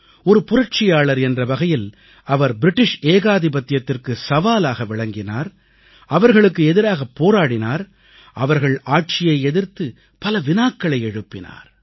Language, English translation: Tamil, As a revolutionary, he challenged British rule, fought against them and questioned subjugation